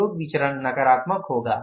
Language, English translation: Hindi, Usage variance will be negative